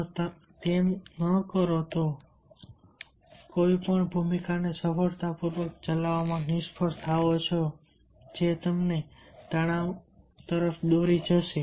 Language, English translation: Gujarati, if you do not, if you fail to successfully execute any of the roles, that will also lead to stress